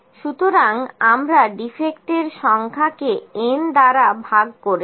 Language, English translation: Bengali, So, we divide just it the number of defects by n